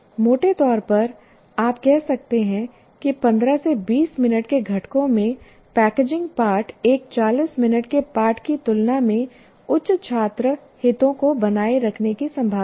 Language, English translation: Hindi, So broadly, you can say packaging lessons into 15 to 20 minute components is likely to result in maintaining greater student interest than one 40 minute lesson